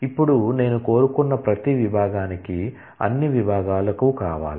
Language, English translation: Telugu, Now, you want that for all the departments for each department I want